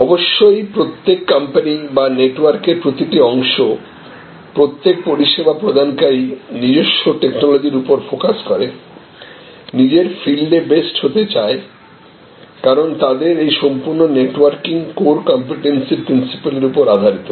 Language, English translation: Bengali, And of course, as each company or each part of the network each service provider focuses on his own technology; because they are want to be the best in their field, because this entire networking is based on core competency principle